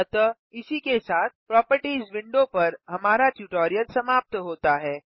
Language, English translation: Hindi, So, this completes our tutorial on the Properties window